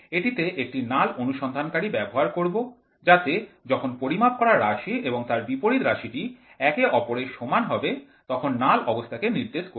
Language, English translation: Bengali, It uses a null detector which indicates the null condition when the measured quantity and the opposite quantities are the same